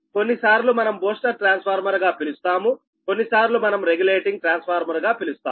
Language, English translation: Telugu, sometimes we call regulating transformer, sometimes we call booster transformer